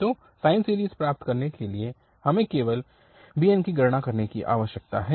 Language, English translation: Hindi, So, to get the sine series we need to compute just bn